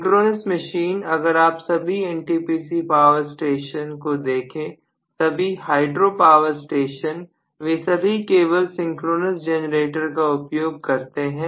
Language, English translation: Hindi, Synchronous machine if you look at all the NTPC power stations, all the NPC power stations, all the hydro power stations, all of them use very clearly only synchronous generators